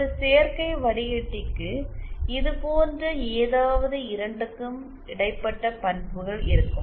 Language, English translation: Tamil, Then a composite filter will have characteristics something like between this